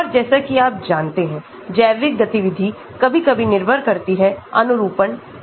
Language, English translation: Hindi, And as you know, the biological activity sometimes depends upon the conformation